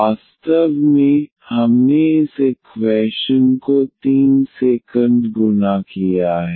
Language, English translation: Hindi, Indeed, we have multiplied by the equation this by 3 here